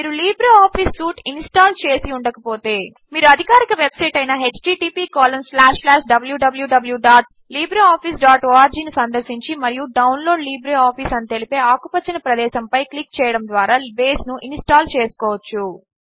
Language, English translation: Telugu, If you have not installed LibreOffice Suite, you can install Base by visiting the official website and clicking on the green area that says Download LibreOffice